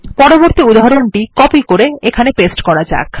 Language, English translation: Bengali, Let me copy and paste the next example